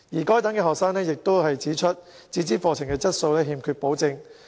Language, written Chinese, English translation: Cantonese, 該等學生亦指出，自資課程的質素欠缺保證。, Such students have also pointed out that the quality of self - financing programmes lacks assurance